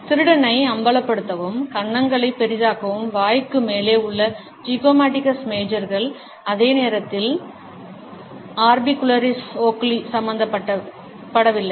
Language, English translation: Tamil, The zygomaticus majors over mouth back to expose the thief and enlarge the cheeks, while the orbicularis oculi are not involved